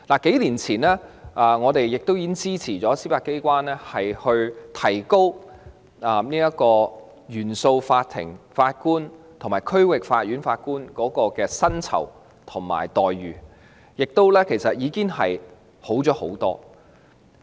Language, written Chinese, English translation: Cantonese, 數年前，我們支持司法機關改善原訟法庭法官及區域法院法官的薪酬和待遇，現時情況已大有改善。, A few years ago we lent our support to the Judiciary improving the pay and benefits of CFI Judges and District Court Judges and the situation has greatly improved nowadays